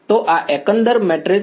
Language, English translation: Gujarati, So, this overall matrix is the what size